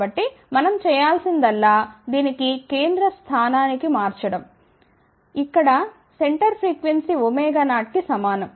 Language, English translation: Telugu, So, all we have to do it is shift this one to the central position, where center frequency is equal to omega 0